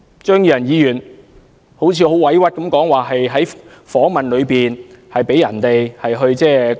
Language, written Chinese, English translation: Cantonese, 張宇人議員說得很委屈，指他在訪問時被人硬塞了一些說話。, Mr Tommy CHEUNG poured out his grievances that words had been put into his mouth during an interview